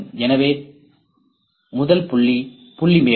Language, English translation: Tamil, So, first point is the point cloud